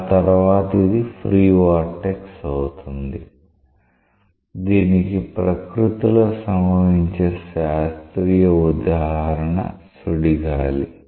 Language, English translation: Telugu, Beyond that, it is like a free vortex a very classical example that occurs in nature is a tornado